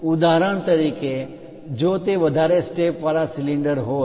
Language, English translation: Gujarati, For example, if it is a cylinder having multiple steps